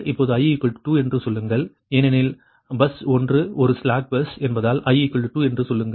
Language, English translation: Tamil, say i is equal to say i is equal to two, because bus one is a slack bus